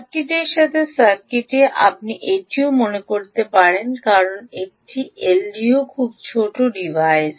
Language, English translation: Bengali, in the circuit you can do that also because an l d o is a very small device